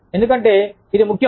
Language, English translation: Telugu, Why because, it is important